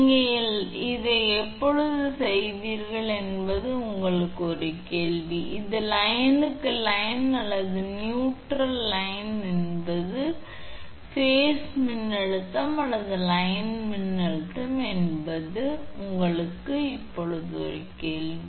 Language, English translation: Tamil, This is a question to you when you will did this you see whether it is a line to line or line to your neutral that is phase voltage or line voltage this is a question to you right now